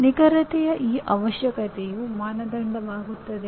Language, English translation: Kannada, That requirement of accuracy becomes the criterion